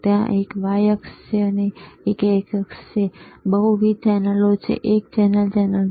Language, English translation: Gujarati, tThere is an x axis, there is a y axis, and then there is there are multiple channels, right channel one, channel 2